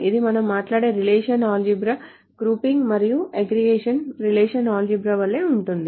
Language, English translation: Telugu, So this is the same as the relational algebra that we talked about the relational algebra grouping and aggregation that we talk about